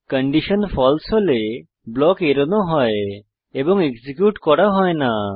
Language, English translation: Bengali, If the condition is false, the block is skipped and it is not executed